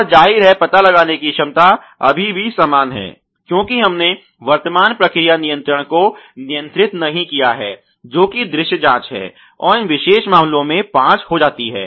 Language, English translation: Hindi, And obviously, the detect ability is still the same because we have not controlled the process current process control which is the visual check and that happens to be five in these particular case